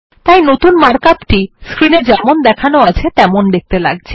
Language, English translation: Bengali, And, thus the new mark up looks like as shown on the screen